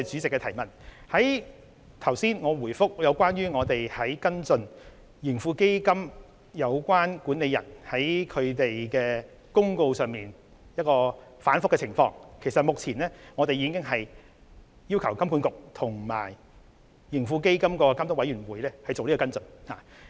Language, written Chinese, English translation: Cantonese, 我剛才答覆有關跟進盈富基金管理人在通告內容上出現反覆的補充質詢時已指出，我們已經要求金管局及盈富基金監督委員會作出跟進。, In my earlier reply to the supplementary question on following up the inconsistent content in the circulars issued by the Manager of TraHK I pointed out that we have asked HKMA and the Supervisory Committee of TraHK to take follow - up actions